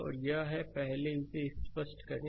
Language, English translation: Hindi, So, let me let me clear it first